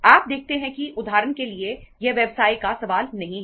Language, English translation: Hindi, You see for example itís not a question of business